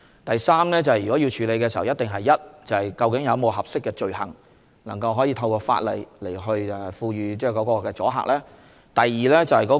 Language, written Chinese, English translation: Cantonese, 第三，如果要處理這問題，首先一定是究竟有否合適的罪行，能夠透過法例產生阻嚇作用呢？, Third if we are to address this problem the first consideration will be whether there are applicable offences under the law which can produce deterrent effect?